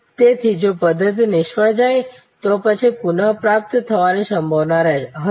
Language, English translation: Gujarati, So, if the system fails then will there be a possibility to recover